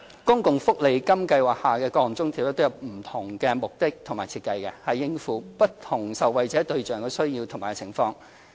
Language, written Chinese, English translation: Cantonese, 公共福利金計劃下的各項津貼都有不同目的和設計，以應付其不同受惠對象的需要及情況。, Different allowances under the SSA Scheme have different objectives and arrangements to deal with the needs and situations of different beneficiaries